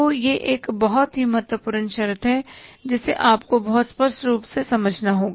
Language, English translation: Hindi, So this is very important condition you have to understand it very clearly